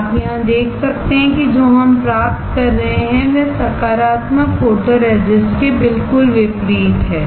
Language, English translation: Hindi, You can see here that what we are getting is absolutely opposite of the positive photoresist